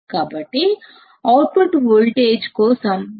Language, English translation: Telugu, So, my new formula for the output voltage will be Ad into Vd plus Acm into V cm